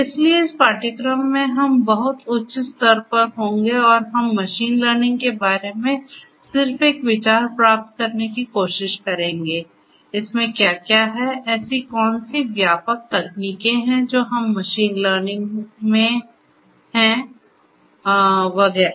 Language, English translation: Hindi, So, in this course we will be at a very higher level and we will try to get just an idea about what is machine learning; what is what; what are the broad techniques that are there in machine learning and so on